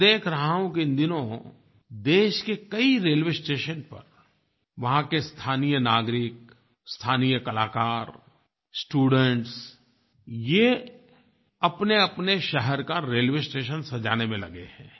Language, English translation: Hindi, I see that many local people, local artists, students are engaged in decorating the railway stations of their cities